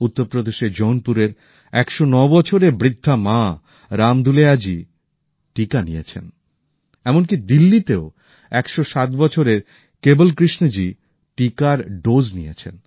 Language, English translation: Bengali, 109 year old elderly mother from Jaunpur UP, Ram Dulaiya ji has taken the vaccination; similarly 107 year old Kewal Krishna ji in Delhi has taken the dose of the vaccine